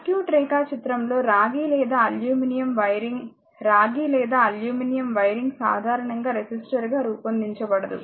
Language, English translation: Telugu, In a circuit diagram copper or aluminum wiring is copper or aluminum wiring is not usually modeled as a resistor